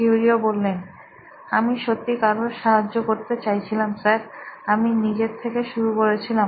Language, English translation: Bengali, I really wanted to help someone sir, I started with me